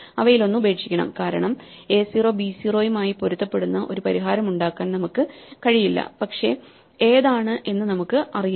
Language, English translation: Malayalam, So, we have to drop one of them because we cannot make a solution a 0 matching b 0, but we do not know which one